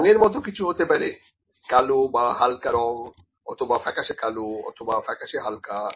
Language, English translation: Bengali, So, anything like colour can be there colour, dark or light colour dark or pale dark or light, ok